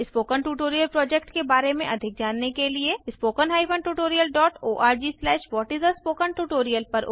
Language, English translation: Hindi, To know more about the Spoken Tutorial project, watch the video available at the spoken tuitorial.org/what is a spoken tuitorial